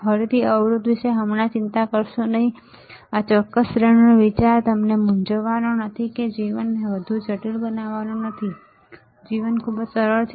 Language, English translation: Gujarati, Again do not worry about impedance right now, the idea of this particular series is not to confuse you or not to make the life more complex, life is very easy